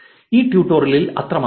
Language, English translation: Malayalam, That is all for this tutorial